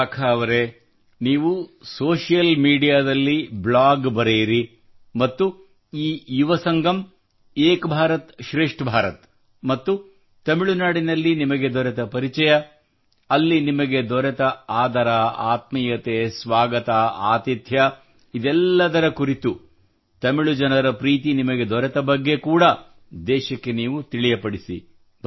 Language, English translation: Kannada, So Vishakha ji, do write a blog and share this experience on social media, firstly, of this Yuva Sangam, then of 'Ek BharatShreshth Bharat' and then the warmth you felt in Tamil Nadu, and the welcome and hospitality that you received